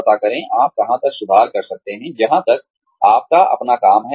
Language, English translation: Hindi, Find out, where you can improve, as far as, your own work goes